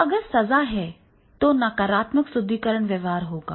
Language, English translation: Hindi, So, if the punishment is there, then there will be the negative reinforcement behavior